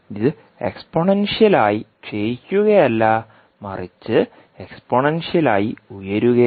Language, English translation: Malayalam, It is not exponentially decaying, it is a exponentially rising